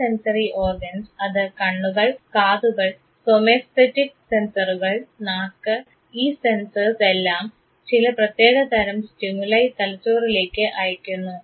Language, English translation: Malayalam, So, these sensory organs whether it is eyes, ears somesthetic sensors tongue all these sensors, they sends certain type of stimuli to the brain